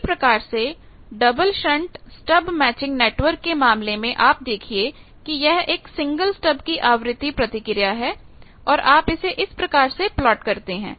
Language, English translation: Hindi, Similarly, double shunt stub matching network, you see this single stub that has a frequency response and you can plot it like this